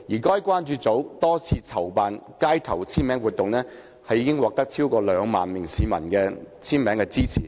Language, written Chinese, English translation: Cantonese, 該關注組多次籌辦街頭簽名活動，並獲逾兩萬名市民簽名支持。, The concern group held a number of street signature campaigns with more than 20 000 people signing to show their support